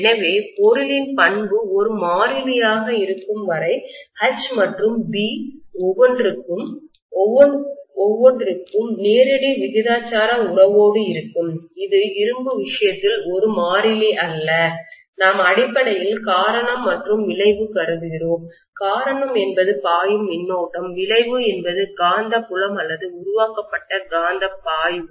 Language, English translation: Tamil, So we are just going ahead with the relationship that H and B are directly proportional to each other as long as the material property is a constant, which is not a constant in the case of iron, which we will come to but we are essentially assuming that the cause and effect, the cause is the current that is flowing, the effect is the magnetic field created or magnetic flux created